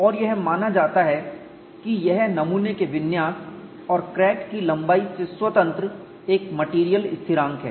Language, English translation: Hindi, Then fracture would commence and it is assumed that it is a material constant independent of specimen configuration and crack length